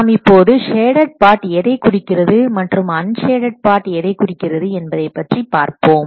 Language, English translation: Tamil, Now let's see what the sadded part represents and what the unshaded part represents